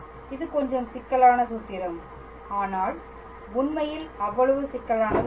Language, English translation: Tamil, It is a little bit complicated formula, but not really that much complicated